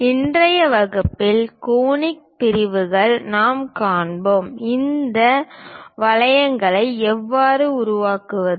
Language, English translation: Tamil, In today's class, I will cover on Conic Sections; how to construct these curves